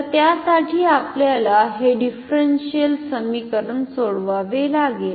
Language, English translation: Marathi, We have to solve this differential equation